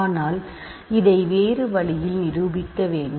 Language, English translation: Tamil, But in order to prove this in a different way